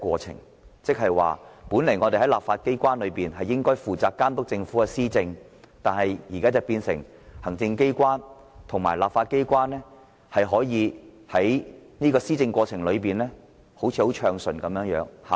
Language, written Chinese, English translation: Cantonese, 亦即是說，立法機關本應負責監督政府施政，但日後卻變成行政機關與立法機關合作，使施政看似暢順，即所謂的"有效率"。, In other words the legislature which supposedly should monitor the performance of the Government will in future cooperate with the Executive Authorities to make policy implementation smoother or to attain the so - called efficiency